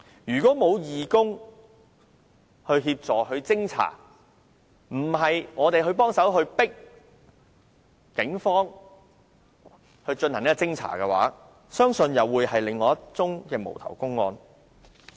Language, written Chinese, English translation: Cantonese, 如果沒有義工協助和偵查，要不是我們協助催迫警方進行偵查的話，相信又會是另一宗無頭公案。, Without the assistance from and the investigation carried out by volunteers or the pressure we helped exert on the Police to probe into it the incident would have probably become another unsolved case